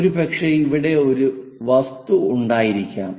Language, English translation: Malayalam, Perhaps there might be an object here